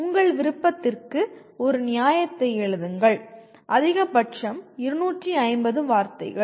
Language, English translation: Tamil, Write a justification for your choice, maximum of 250 words